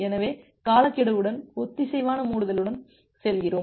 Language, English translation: Tamil, So we go with synchronous closure with timeout